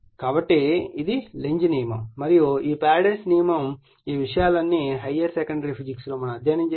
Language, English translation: Telugu, So, this is Lenz’s law and this Faradays all these things we have studied in your higher secondary physics right